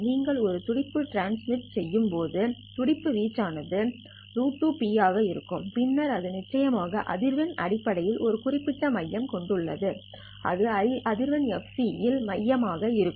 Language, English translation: Tamil, When you transmit a pulse, then the amplitude of the pulse would be square root 2p and then it of course has a certain center in terms of the frequency it will be centered at the frequency fc